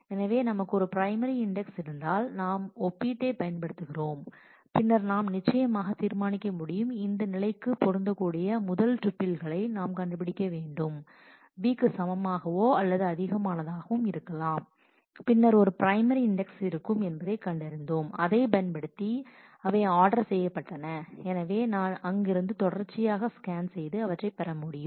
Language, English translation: Tamil, So, if we have a if we have a primary index and we are using comparison then what we will we can certainly decide is we need to find out the first tuple which matches this condition that is a is greater than equal to v and then once we have found that in a primary index the following ones will all be ordered in that manner